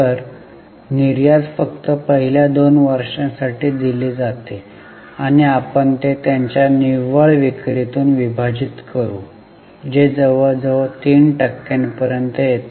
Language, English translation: Marathi, So, exports are given only for first two years and we will divide it by their net sales which comes to about 3%